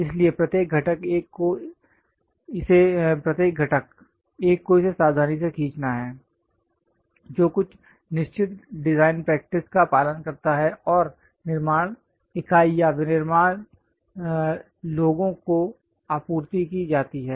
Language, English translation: Hindi, So, each and every component, one has to draw it carefully which follows certain design practices and to be supplied to the fabrication unit or manufacturing guys